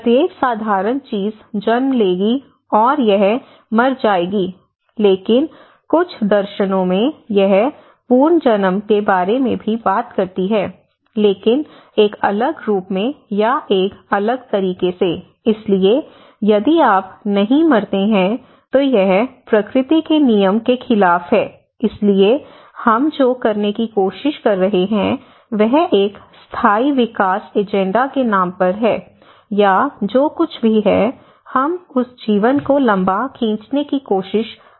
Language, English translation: Hindi, Every simple thing will give a birth, and it will die, but in certain philosophies, it also talks about the rebirth, okay but in a different form or in a different way so, if you do not die, it is against the law of nature, if the thing is not dying it is against the law of nature, so what we are trying to do is in the name of a sustainable development agendas or whatever it is, we are trying to prolong that life you know, we are trying to live little longer